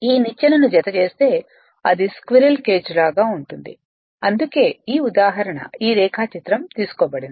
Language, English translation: Telugu, And if you enclose this ladder it will look like a squirrel cage that is why these example is this diagram is taken